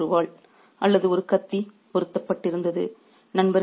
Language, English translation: Tamil, Everyone was equipped with a sword or a dagger